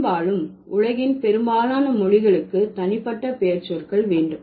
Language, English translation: Tamil, And mostly, most of the world's languages will have the personal pronouns